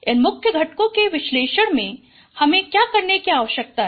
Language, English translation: Hindi, So for principal component analysis, what you need to do